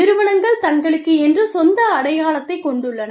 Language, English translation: Tamil, The firms have their, own individual identity